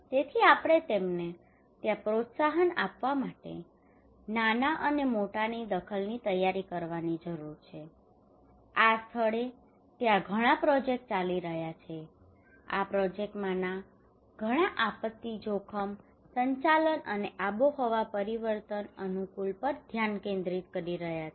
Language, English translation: Gujarati, So therefore we need to prepare them small and large intervention we need to promote there, there are so many projects are going on there in this place and many of this project are focusing on the disaster risk management and climate change adaptations